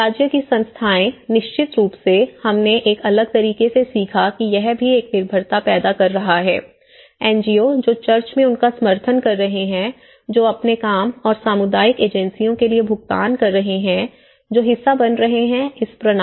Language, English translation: Hindi, State institutions, so of course, we learnt in a different way that that is also creating a dependency, NGOs, who is supporting them in the church, again, who is paying for their own work and the community agencies, who are being part of this course